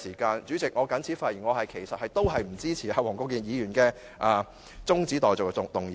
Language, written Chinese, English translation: Cantonese, 代理主席，我謹此發言，我不支持黃國健議員提出的中止待續議案。, Deputy President with these remarks I do not support the adjournment motion moved by Mr WONG Kwok - kin